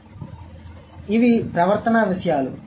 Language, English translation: Telugu, So, these are the things